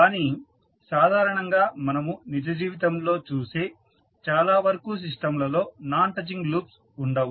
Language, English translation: Telugu, But, what happens that the generally in most of the system which you see in real time do not have non touching loops